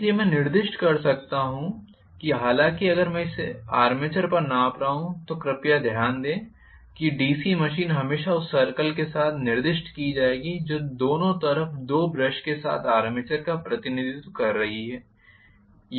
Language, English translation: Hindi, So, I can specify this as though if my I am measuring it across the armature please note that the DC machine will always be specified with the circle which is representing the armature with two brushes on the either side